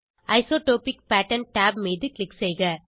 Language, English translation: Tamil, Click on the Isotropic Pattern tab